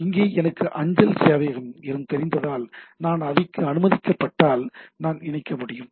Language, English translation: Tamil, Here also if I know the mail server and if I that is allowed that I can connect like that